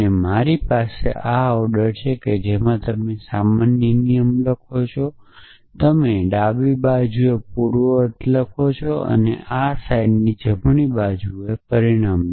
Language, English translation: Gujarati, And I have the order in which you are writing in the normal rule you write there antecedents on the left hand side and the consequent on the right hand side in this notation